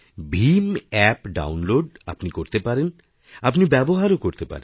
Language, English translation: Bengali, You must be downloading the BHIM App and using it